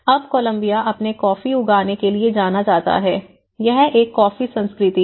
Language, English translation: Hindi, Now Columbia is known for its coffee growing, it’s a coffee culture